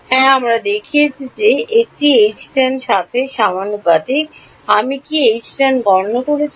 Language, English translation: Bengali, Yes we have shown that this is proportional to H tangential, have I calculated H tangential